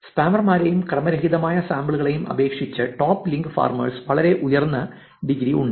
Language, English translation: Malayalam, Top link farmers have very high in degree compared to spammers and random sample